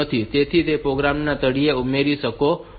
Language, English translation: Gujarati, So, you can add that to the bottom of the program